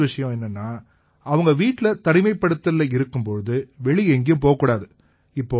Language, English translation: Tamil, The second thing is, when they are supposed to be in a home quarantine, they are not supposed to leave home at all